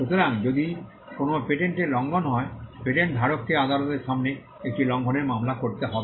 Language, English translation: Bengali, So, if there is an infringement of a patent, the patent holder will have to file an infringement suit before the courts